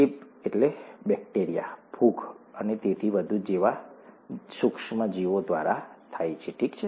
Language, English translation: Gujarati, Infection is caused by micro organisms, such as bacteria, fungi and so on, okay